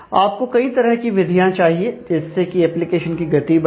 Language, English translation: Hindi, So, you need several approaches to speed up applications